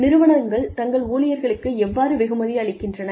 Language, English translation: Tamil, How do organizations, reward their employees